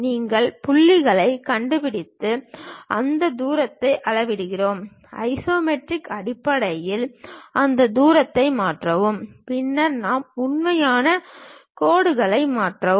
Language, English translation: Tamil, We locate the points, measure those distance; then convert those distance in terms of isometric, then we will convert into true lines